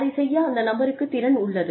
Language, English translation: Tamil, The person has the capacity to do it